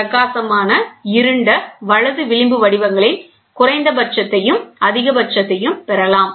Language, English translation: Tamil, So, bright, dark, bright, dark, right fringe patterns so, we get minimum and we get maximum